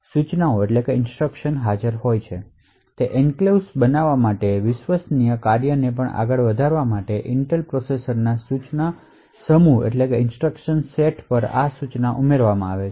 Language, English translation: Gujarati, So, these instructions have been added on the instruction set of the Intel processors in order to create enclaves invoke trusted functions and so on